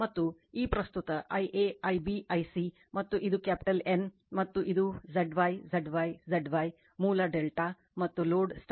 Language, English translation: Kannada, And this current I a, I b, I c right and this is capital N and this is Z y, Z y, Z y, source is delta and load is star